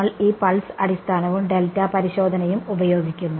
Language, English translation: Malayalam, We use this pulse basis and delta testing ok